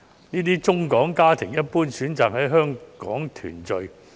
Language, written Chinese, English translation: Cantonese, 這些中港家庭，一般選擇在香港團聚。, These Mainland - HKSAR families in general have chosen Hong Kong as the place for family reunion